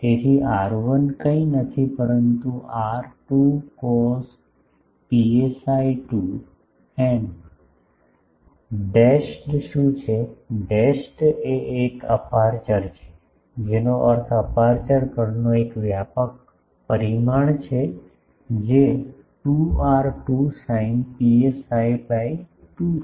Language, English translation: Gujarati, So, R1 is nothing, but R2 cos psi by 2 and what is a dashed, a dashed is a dash means a total broad dimension of the on aperture that is 2 R2 sin psi by 2 psi by 2